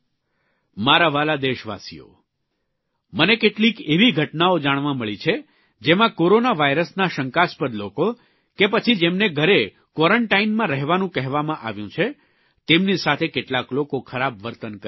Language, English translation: Gujarati, My dear countrymen, I have come to know of some instances, that some of those people who were suspected to have corona virus and asked to stay in home quarantine, are being illtreated by others